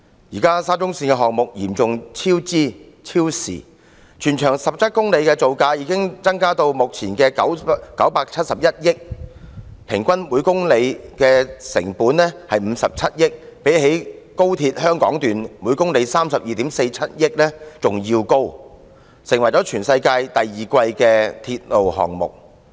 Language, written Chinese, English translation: Cantonese, 現時沙中線項目嚴重超支、超時，全長17公里的鐵路造價已增至目前的971億元，平均每公里的成本是57億元，相比高鐵香港段每公里32億 4,700 萬元更高，成為全世界第二昂貴的鐵路項目。, How can MTRCL deny completely the relationship between the ground settlement and the works? . SCL has run into significant cost overruns and delays . The construction cost of SCL with a total length of 17 km has soared to the existing level of 97.1 billion while the average cost per kilometre amounts to 5.7 billion which is even higher than the average cost of 3.247 billion per kilometre in the case of the Hong Kong Section of the Guangzhou - Shenzhen - Hong Kong Express Rail Link XRL